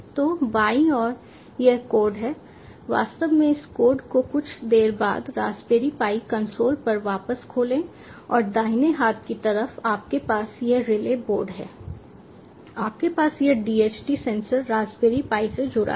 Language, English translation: Hindi, so on the left hand side ah, this is the code, actually open this code few movements back on the raspberry pi console and on the right hand side, you have this relay board, you have this dht sensor connected to the raspberry pi